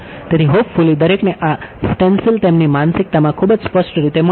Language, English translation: Gujarati, So, hopefully everyone is got this stencil very clearly in their mind set right